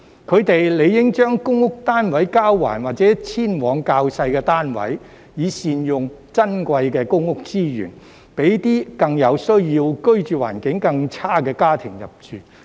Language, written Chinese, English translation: Cantonese, 他們理應將公屋單位交還或遷往較小的單位，以善用珍貴的公屋資源，讓更有需要、居住環境更差的家庭入住。, It is only natural that they should return their public housing units or move into smaller units so as to make the best use of the precious public housing resources for needy families with poorer living conditions